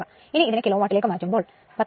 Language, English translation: Malayalam, So, I have to converted in to kilo watt right, so that is 19